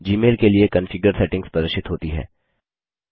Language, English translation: Hindi, The configuration settings for Gmail are displayed